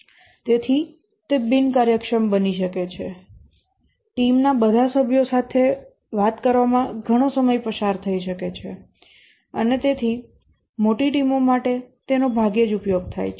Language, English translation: Gujarati, Too much of time may be spent in talking to all the team members and therefore it is rarely used for large teams